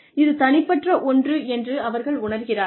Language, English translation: Tamil, They feel that, it is individual